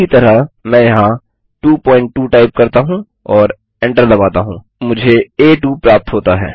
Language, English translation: Hindi, Similarly I can type in here 2.2 and press enter I get A2